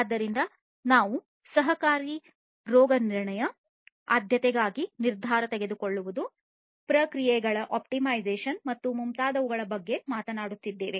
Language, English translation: Kannada, So, we are talking about you know collaborative diagnostics, decision making for prioritization, optimization of processes and so on